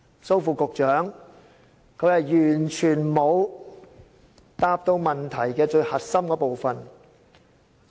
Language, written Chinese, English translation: Cantonese, 蘇副局長剛才完全沒有回答到問題最核心的部分。, Under Secretary Dr SO did not answer the most critical part of the question at all